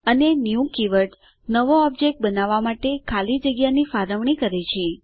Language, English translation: Gujarati, And the new keyword allocates space for the new object to be created